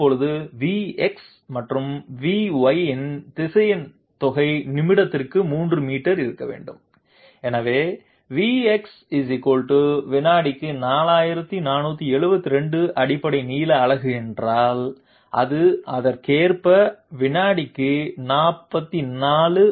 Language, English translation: Tamil, Now the vector sum of V x and V y is to be 3 meters per minute, so if V x = 4472 basic length unit per second, it is correspondingly equal to 44